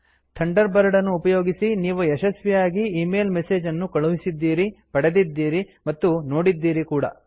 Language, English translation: Kannada, We have successfully sent, received and viewed email messages using Thunderbird